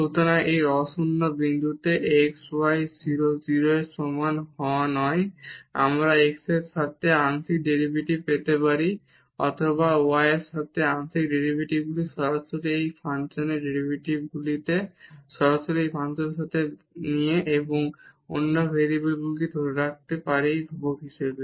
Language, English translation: Bengali, So, at this non zero point x y not equal to 0 0 we can get the derivative partial derivative with respect to x or partial derivatives with respect to y directly from directly taking derivative of this function with respect to that variable and keeping the other variable as constant